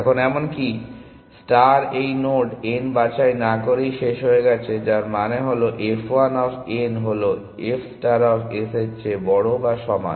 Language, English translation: Bengali, Now even star has terminated without picking this node n, which means that f 1 of n is greater than or equal to f star of s